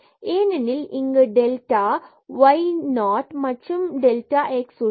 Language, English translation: Tamil, And in this case we can show that this is 0, because here f delta x; so this delta y 0 and we have the delta x